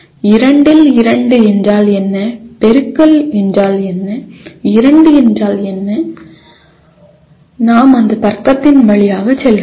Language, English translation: Tamil, What is 2 on 2, what is meant by multiplication, what is meant by 2, we are not going through that logic